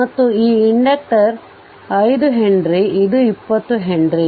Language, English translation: Kannada, And this inductor is 5 henry this is 20 henry